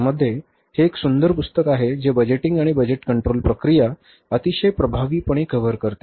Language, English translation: Marathi, In that book, that is a beautiful book which covers the budgeting and budgetary control process very nicely, very effectively